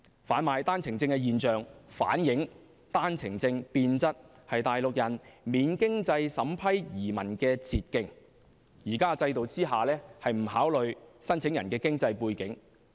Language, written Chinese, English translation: Cantonese, 販賣單程證現象反映單程證變質為內地人免經濟審批移民的捷徑，現時制度不考慮申請人經濟背景。, The illicit OWP trade reflects that OWP has become a shortcut for Mainlanders to emigrate to other places without the need of a means test . Besides under the current system the authorities need not examine the financial background of the applicants